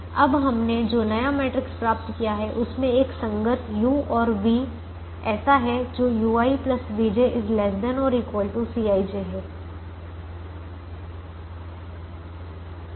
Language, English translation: Hindi, and the new matrix that we have obtained now has a corresponding u and v, such that u i plus v j is less than or equal to c i j